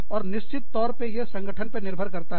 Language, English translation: Hindi, And, all of course, depends on the organization